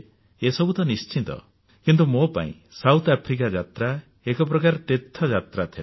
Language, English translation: Odia, But for me the visit to South Africa was more like a pilgrimage